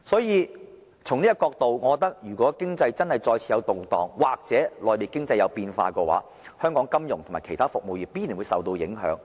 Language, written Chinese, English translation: Cantonese, 如果出現經濟動盪，或內地經濟有變化，香港金融及其他服務業必然會受到影響。, In case of any economic turmoil or changes in the Mainland economy the financial and other service industries of Hong Kong will inevitably suffer